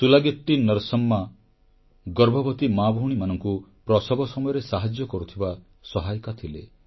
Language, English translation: Odia, SulagittiNarsamma was a midwife, aiding pregnant women during childbirth